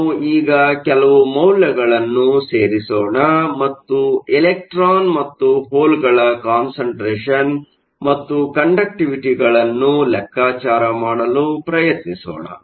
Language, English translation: Kannada, Let us actually put in some values now and try to calculate the electron and hole concentration and the conductivity